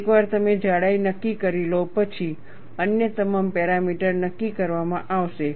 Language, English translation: Gujarati, Once you decide the thickness, all other parameters would be decided